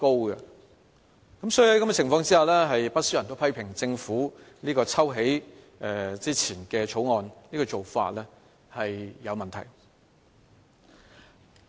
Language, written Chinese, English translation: Cantonese, 所以，在這樣的情況之下，不少人批評政府抽起《2017年印花稅條例草案》的做法有問題。, In this respect many people criticize the Government for its questionable withdrawal of the stamp duty bill